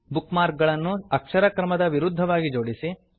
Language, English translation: Kannada, * Organize the bookmarks in reverse alphabetical order